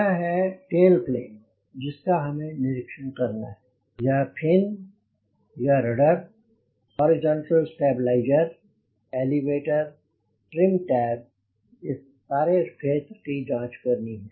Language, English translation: Hindi, so this tail plane, you need to inspect the tail plane, the fin, the rudder, the horizontal stabilizer, the elevator, the trim tab, all over the area